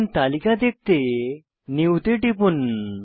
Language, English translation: Bengali, Now, click on New button to view the list